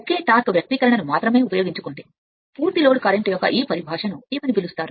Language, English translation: Telugu, Use the same torque expression only this only this your what you call this terminology of full load current